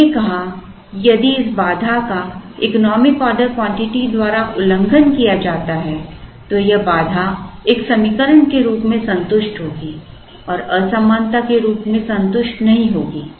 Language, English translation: Hindi, We said that if this constraint is violated by the economic order quantity then this constraint will be satisfied as an equation and not satisfied as an inequality